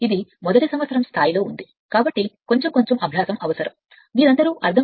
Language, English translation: Telugu, Because it is a first year level, so little bit little bit practice is necessary right